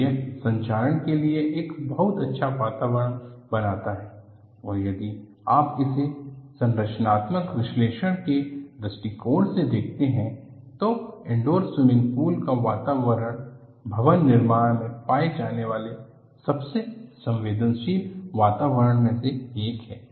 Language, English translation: Hindi, So, this creates a very nice atmosphere for corrosion and if you look at from structural analysis point of view, the atmosphere of indoor swimming pools is one of the most aggressive to be found in a building environment